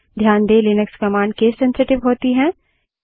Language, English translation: Hindi, However note that linux commands are case sensitive